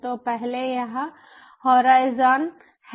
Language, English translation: Hindi, here is ah horizon